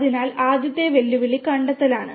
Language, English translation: Malayalam, So, first challenge is the detection